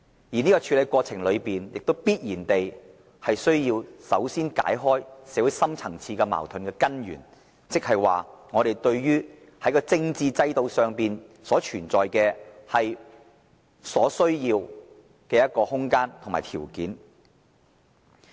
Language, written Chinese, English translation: Cantonese, 而在處理的過程中，必須首先解開社會深層次矛盾的根源，創造我們對於政治制度改革所需要的空間和條件。, During the process it must first tackle the fundamental causes of the deep - rooted social conflicts and create the necessary room and condition for implementing the political system reform